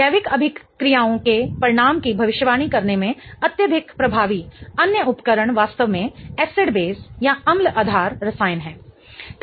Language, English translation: Hindi, The other tool highly effective in predicting the outcome of organic reactions is actually acid based chemistry